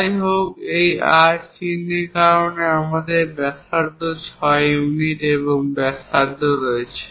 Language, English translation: Bengali, However, we have a radius of 6 units and its radius because of this R symbol